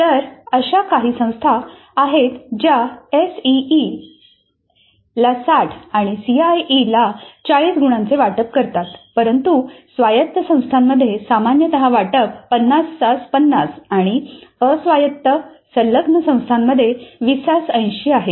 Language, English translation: Marathi, So there are institutes autonomous which allocate 60 marks to a CE and 40 to CAE but a more common allocation in autonomous institute is 50 50 50 and non autonomous affiliated institutes is 2080